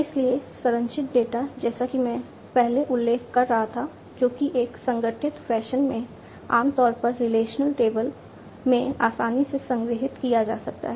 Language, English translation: Hindi, So, structured data as I was mentioning before are the ones which can be stored easily in an organized fashion in typically relational tables